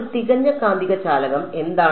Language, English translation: Malayalam, What is a perfect magnetic conductor right